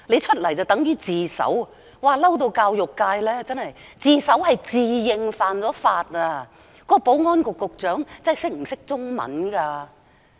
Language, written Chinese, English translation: Cantonese, 所謂自首，是指一個人自認犯了法，究竟保安局局長懂中文嗎？, The Chinese counterpart of surrender means ones admission to having violated the law . Does the Secretary for Security understand the Chinese language?